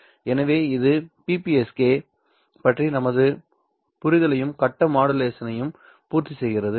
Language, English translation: Tamil, So, this completes our understanding of BPSK and phase modulation